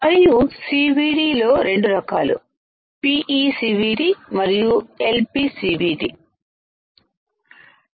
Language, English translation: Telugu, And in CVD we have seen 2 types PECVD and LPCVD